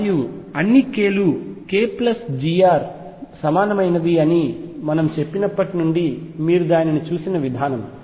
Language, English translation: Telugu, And the way you show it is since we said that all k’s within k plus g r equivalent